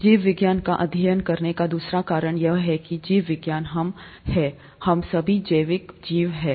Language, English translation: Hindi, Second reason is, second reason for studying biology is that biology is us, we are all biological creatures